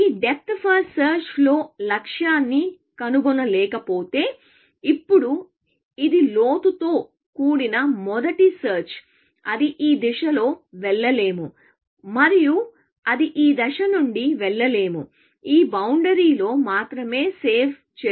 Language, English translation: Telugu, If it does not find goal in this depth first search, now, this is depth first search with a bound; that it cannot go of in this direction, and it cannot go from this direction; only has save within this boundary